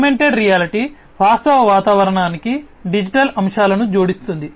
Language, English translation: Telugu, Augmented reality adds digital elements to the actual environment